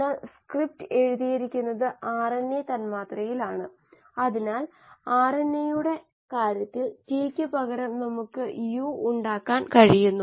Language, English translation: Malayalam, But the script is written in the RNA molecule so instead of a T in case of RNA we are going to have a U